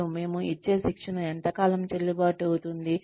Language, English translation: Telugu, And, how long will the training, we give them be valid